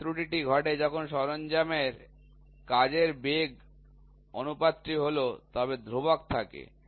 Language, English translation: Bengali, This error occurs when the tool work velocity ratio is incorrect, but constant